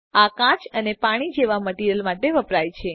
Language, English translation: Gujarati, This is used for materials like glass and water